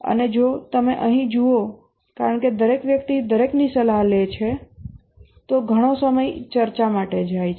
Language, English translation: Gujarati, And if you look at here, since everybody is consulting everybody, there is a lot of time goes by for discussing